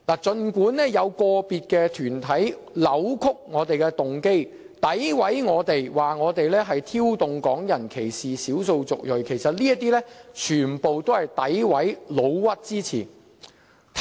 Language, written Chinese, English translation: Cantonese, 儘管有個別團體扭曲我們的動機，詆毀我們，指我們挑動港人歧視少數族裔，其實這些全是詆毀及"老屈"之詞。, Certain groups have distorted our motives and accused that we are provoking Hong Kong people to discriminate against ethnic minorities . In fact such remarks are totally groundless and unjustified